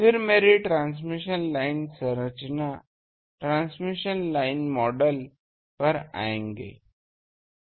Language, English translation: Hindi, Then, come to my transmission line structure, transmission line model